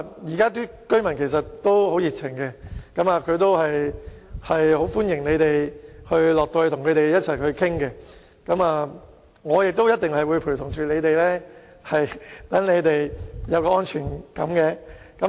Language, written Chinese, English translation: Cantonese, 現在的居民其實也很熱情，並歡迎兩位局長到區內與他們商討，而我也一定會陪同他們，讓他們有安全感。, They will be happy to meet and discuss with the two Secretaries in their communities . I will certainly accompany the Secretaries so that they can feel comfortable